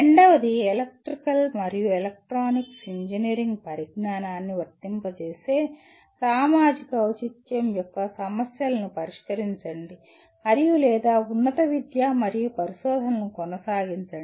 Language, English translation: Telugu, Second one, solve problems of social relevance applying the knowledge of electrical and electronics engineering and or pursue higher education and research